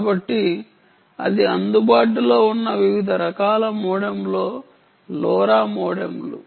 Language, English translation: Telugu, ok, so thats the different types of modems lora modems that are available now